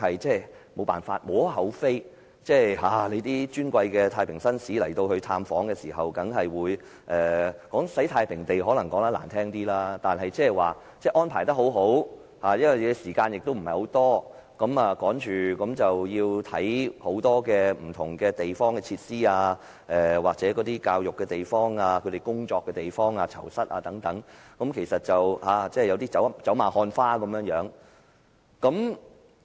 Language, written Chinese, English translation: Cantonese, 這點亦無可厚非，當尊貴的太平紳士到訪時——如果說是"洗太平地"當然是比較難聽一點——但仍可說是安排得很好，探訪時間亦不長，匆忙地參觀多項不同設施、接受教育的地方、工作的地方和囚室等，其實是有一點走馬看花之感。, That was actually understandable as the respectable Justice of the Peace paid the visit―it would sound unpleasant if we call it Clean Tai Ping Tei campaign―but it was nicely organized and the visit time was rather brief . I hurriedly visited different facilities such as the classrooms the workplace and the cells . Actually I had a feeling that I was given only a passing glance at things